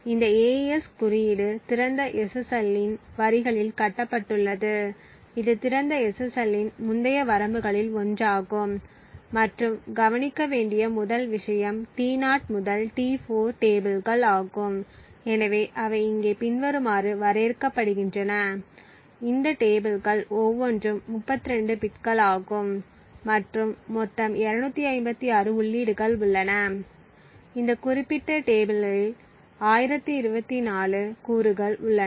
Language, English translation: Tamil, So this AES code is built on the lines of open SSL, one of the earlier limitations of the open SSL and the 1st thing to note is the tables T0 to T4 so they are defined here as follows, so each of these tables is of 32 bits and there are 256 entries in total, there are 1024 elements in this particular table